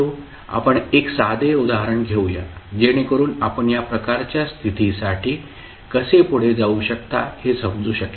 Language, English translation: Marathi, Let us take one simple example, so that you can understand how we can proceed for this kind of condition